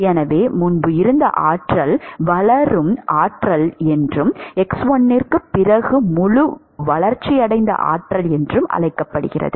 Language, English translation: Tamil, So, the regime before is called developing regime and after x1 is called the fully developed regime